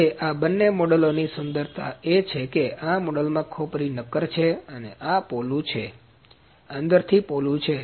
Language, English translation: Gujarati, Now the beauty of these two models is that this model this skull is solid and this is hollow, this is hollow from inside ok